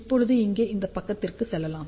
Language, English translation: Tamil, Now, let just move to this side here